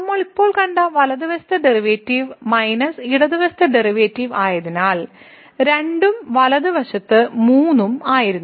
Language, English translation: Malayalam, So, the right side derivative which we have just seen was minus the left side derivative so was 2 and the right side was 3